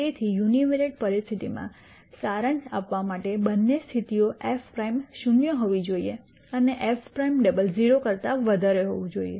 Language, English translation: Gujarati, So, to summarize in the univariate case the two conditions are f prime has to be zero and f double prime has to be greater than 0